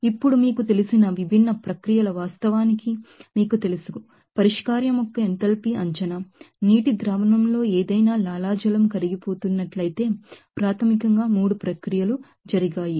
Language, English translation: Telugu, Now, there are you know, different processes actually considered to you know, estimate that enthalpy of solution, there are 3 processes basically happened if there is suppose any salivate are dissolving in a water solution